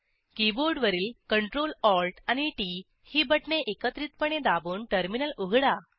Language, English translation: Marathi, Open the terminal by pressing Ctrl+Alt and T keys simultaneously on your keyboard